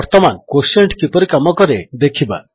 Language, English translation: Odia, Now lets see how Quotient works